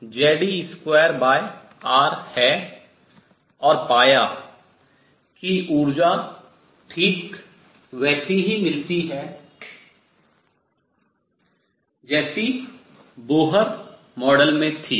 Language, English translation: Hindi, And found that the energies came out to be precisely the same as that in the Bohr model